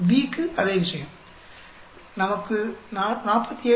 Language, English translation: Tamil, And same thing for B, we will get 47